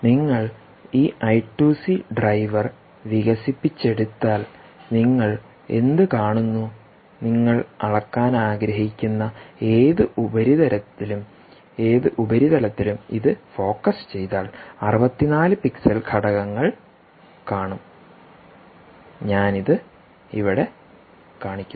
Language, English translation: Malayalam, if you develop this i two c driver and focus it on the any surface that you want to measure, you will see sixty four pixel elements which i am showing here